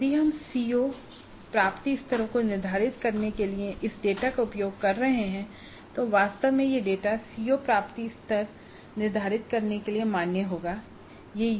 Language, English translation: Hindi, If we are using this data to determine the COO attainment levels, really this data must be valid for determining the CO attainment level